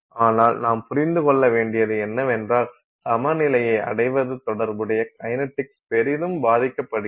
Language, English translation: Tamil, But what we also have to understand is that attaining equilibrium is affected greatly by the associated by the associated kinetics